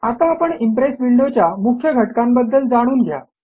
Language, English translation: Marathi, Now let us learn about the main components of the Impress window